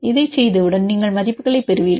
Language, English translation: Tamil, Once you do this you will get the values